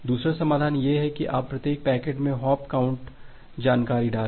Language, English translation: Hindi, The second is start second solution is that you put a hop count information in each packet